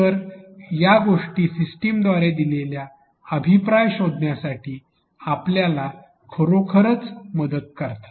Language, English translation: Marathi, So, these things actually help us in a figuring out the feedback given by the system